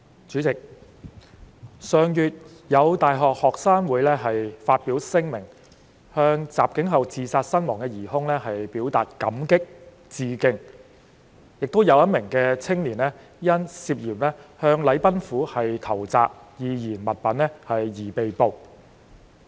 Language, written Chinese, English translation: Cantonese, 主席，上月，有大學學生會發表聲明，向襲警後自殺身亡的疑兇表達"感激"和"致敬"，亦有一名青年因涉嫌向禮賓府投擲易燃物品而被捕。, President last month a university student union issued a statement expressing gratitude for and paying tribute to a suspect who had killed himself after attacking a police officer and a young man was arrested for suspected hurling of flammable objects at the Government House